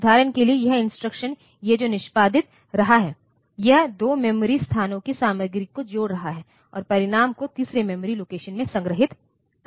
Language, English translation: Hindi, So, for example, it may be that the instruction that it is executing is adding the content of 2 memory locations and storing the result in a third memory location